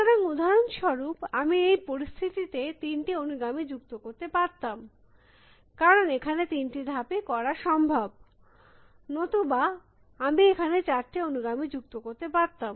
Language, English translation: Bengali, So, for example, in this situation I would have added three successors, because of the 3 moves I can make or in this situation, I would have added four successors